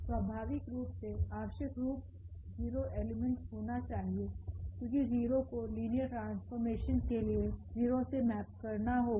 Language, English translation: Hindi, Naturally, the 0 element must be there because the 0 must map to the 0 for the linear map